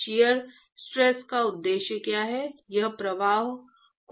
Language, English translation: Hindi, What is the purpose of shear stress, it is going to retard the flow right